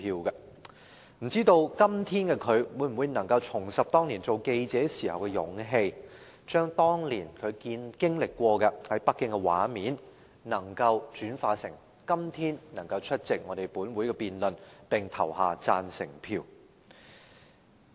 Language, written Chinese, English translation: Cantonese, 不知道今天的她，能否重拾當年做記者時的勇氣，將她當年在北京經歷的畫面，轉化成今天出席本會的辯論，並投下贊成票。, I wonder if she can now reclaim the courage of working as a reporter back then to convert what she witnessed in Beijing during that incident to attending the debate in this Council today and vote for the motion